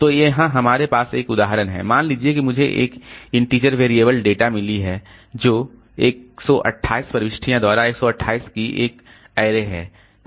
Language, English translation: Hindi, Suppose I have got an integer variable data whose size which is an array of 128 by 128 by entries